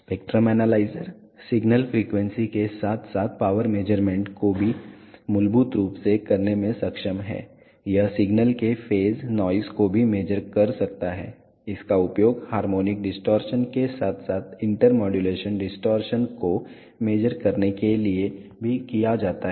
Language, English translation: Hindi, The spectrum analyzer is capable of doing signal frequency as well as power measurements fundamentally, it can also measure the phase noise of a signal, it is also used to measure the harmonic distortion as well as inter modulation distortion